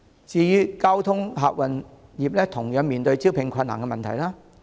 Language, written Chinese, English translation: Cantonese, 至於交通客運業，同樣面對招聘困難的問題。, The passenger transport industry also faces recruitment difficulties